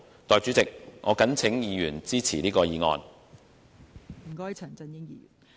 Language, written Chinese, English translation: Cantonese, 代理主席，我謹請議員支持議案。, Deputy President I urge Members to support this motion